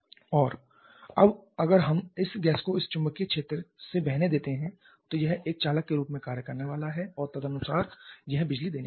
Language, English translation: Hindi, And now if we allow this gas to flow through this magnetic field then that is going to act as a conductor and accordingly it is going to give electricity